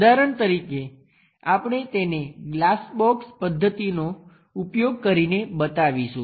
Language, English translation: Gujarati, For example, we would like to show it using glass box method the layout